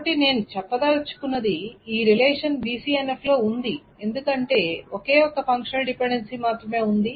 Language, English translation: Telugu, So what I mean to say is this relation is in BC and F because there is only one functional dependency and nothing is valid